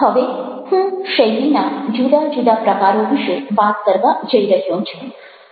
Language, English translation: Gujarati, now i am going to talk about different types of styles